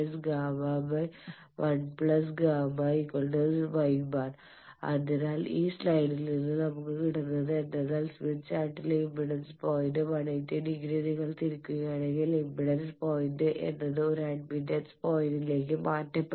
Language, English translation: Malayalam, So, the take away from this slide is if you rotate the impedance point on the smith chart by 180 degree impedance point get transferred to an admittance point